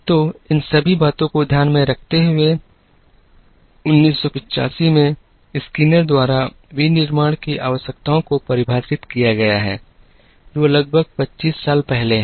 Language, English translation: Hindi, So, with all these things in mind, the requirements of manufacturing have been defined by Skinner in 1985, which is roughly about 25 years ago